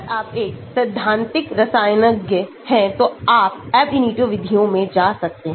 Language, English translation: Hindi, If you are a theoretical chemist then you may go into Ab initio methods